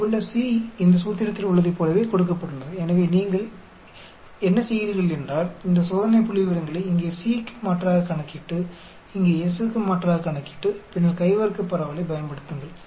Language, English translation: Tamil, The c here is given like in this formula so what you do is you calculate this test statistics substituting the c here, substituting the s here and then use the chi square distribution